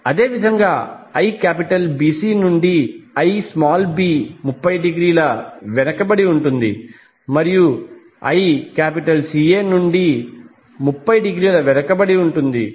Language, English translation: Telugu, Similarly Ib will be lagging by 30 degree from Ibc and Ic will be lagging 30 degree from Ica